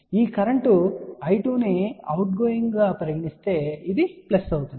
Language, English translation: Telugu, If we take this current I 2 as outgoing then this will become plus